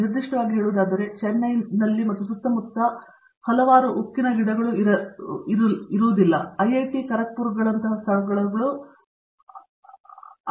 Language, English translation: Kannada, Particularly, because there are not too many steel plants in and around Chennai okay and that has been mostly the strength of places like IIT, Kharagpur which has been very close to so many steel plants